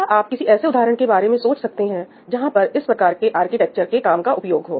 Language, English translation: Hindi, Can you think of some examples where this kind of architecture functionality would be very useful